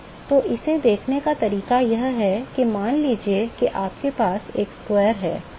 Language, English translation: Hindi, So, the way to see that is suppose you have a square